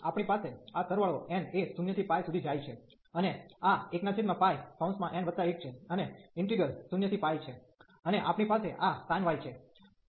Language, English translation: Gujarati, So, we have this summation n goes from 0 to infinity, and this is 1 over pi and n plus 1, and integral 0 to pi and we have this sin y dy